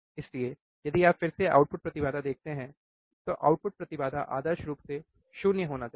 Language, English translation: Hindi, So, if you again see output impedance, output impedance ideally it should be 0, right